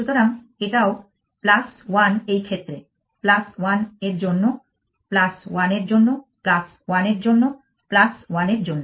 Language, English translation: Bengali, So, this is also plus 1 in this case it is plus 1 for this plus 1 for this plus 1 for this plus 1 for this